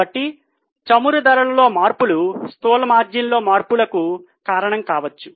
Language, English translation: Telugu, So, maybe the changes in the oil prices could be responsible for changes in the gross margin